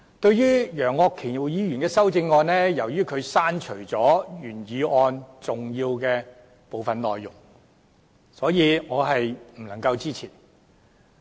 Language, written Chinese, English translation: Cantonese, 就楊岳橋議員的修正案，由於他刪除了原議案的部分重要內容，所以我是不能支持的。, Since Mr Alvin YEUNG has deleted some important content of the original motion in his amendment I am afraid I cannot support his amendment